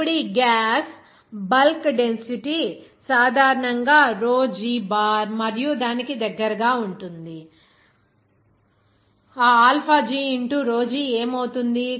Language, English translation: Telugu, Now this gas bulk density generally is denoted by what is that, rho G bar and it will be close to that, what will be that alpha G into rho G